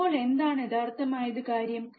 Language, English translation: Malayalam, Now what should be the actual thing